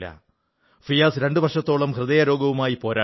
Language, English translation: Malayalam, Fiaz, battled a heart disease for two years